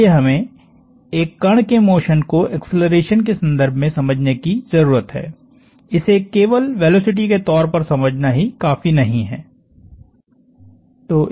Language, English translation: Hindi, Therefore, we need to understand the motion of a particle in the context of acceleration, it is not enough to understand only it is velocity